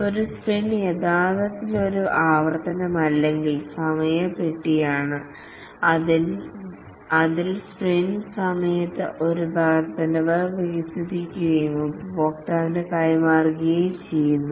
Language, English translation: Malayalam, A sprint is actually an iteration or a time box in which an increment is developed during a sprint and is delivered to the customer